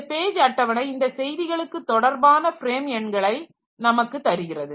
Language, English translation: Tamil, So, page table will give me the corresponding frame number